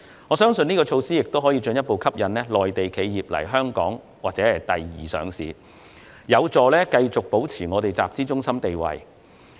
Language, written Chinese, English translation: Cantonese, 我相信這項措施可以進一步吸引內地企業在香港上市或作第二上市，有助繼續維持香港作為集資中心的地位。, I believe this measure can further attract listings or secondary listings of Mainland enterprises in Hong Kong which is conducive to maintaining Hong Kongs position as a capital raising centre